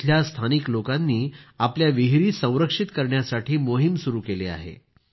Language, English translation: Marathi, Here, local people have been running a campaign for the conservation of their wells